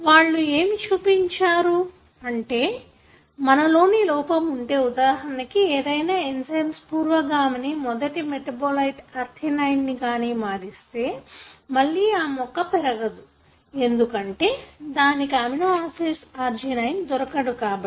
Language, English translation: Telugu, What they have shown is that, if you have a defect in, for example in one of the enzymes, which converts the precursor into the first metabolite ornithine, then again the plant is unable to grow, because it doesn’t get the amino acid arginine